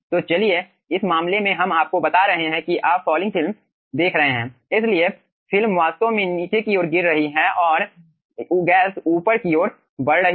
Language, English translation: Hindi, so lets say in this case we are aah taking, you are having falling film, so the film is actually falling down and the gas is moving up